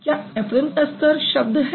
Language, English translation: Hindi, Apron does it have word status